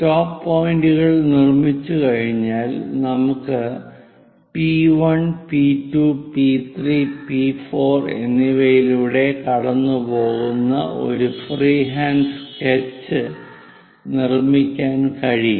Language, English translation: Malayalam, Once the stop points are done we can make a free hand sketch passing through P1, P2, P3, P4 takes a turn goes via that